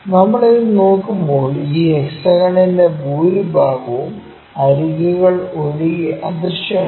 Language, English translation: Malayalam, When we are looking at this most of this hexagon is invisible other than the edges